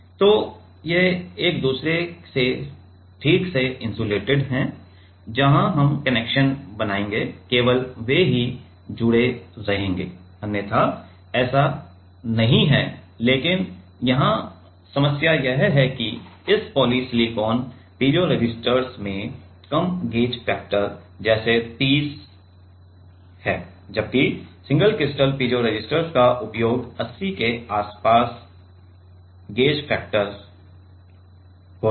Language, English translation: Hindi, So, these are properly insulated from each other only where we will make the connection there only they will be connected otherwise it is not and, but the problem here is that this poly silicon piezo resistors have low gauge factor like 30 or so whereas, the use a single crystal piezo resistors have a gauge factor around 80